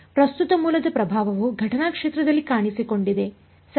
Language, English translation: Kannada, The influence of the current source has made its appearance in the incident field right